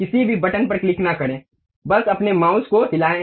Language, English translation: Hindi, Do not click any button, just move your mouse